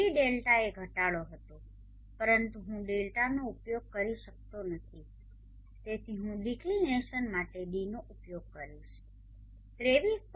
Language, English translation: Gujarati, D Delta was the declination but I cannot use Delta so I will use D for declination 23